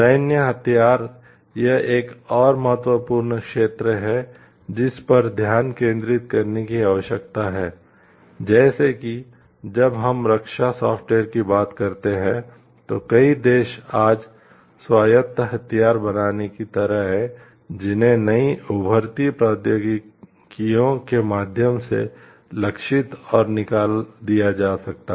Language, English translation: Hindi, Military weapons this is another important area which needs to be focused is like, when we talk of defense software s many countries today are like creating autonomous weapons that can be aimed and fired on board through new emerging technologies